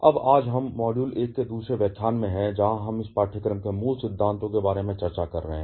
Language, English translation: Hindi, Now, today we are in to the second lecture of module 1, where we are discussing about the very fundamentals of this course